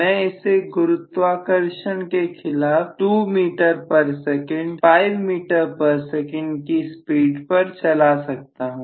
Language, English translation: Hindi, I can make it go against the gravity at 2 meters per second five meters per second